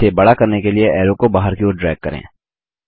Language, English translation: Hindi, To enlarge it, drag the arrow outward